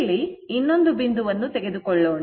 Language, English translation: Kannada, You will take another point here